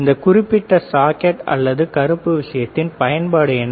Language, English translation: Tamil, What is a use for this particular socket or black thing